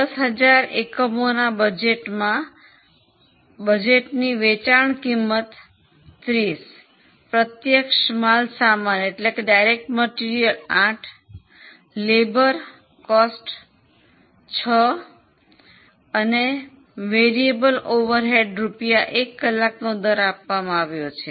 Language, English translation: Gujarati, So, they have made a budget of 10,000 units, sale price is 30, direct material 8, labour 6 and variable over rates 1 per hour rates are also given